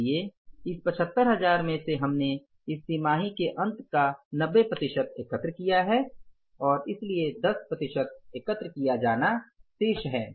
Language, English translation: Hindi, So, from this 75,000 we have collected till the end of this quarter is the 90%